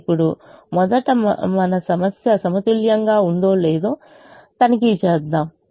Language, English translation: Telugu, now first let us check whether our problem is balanced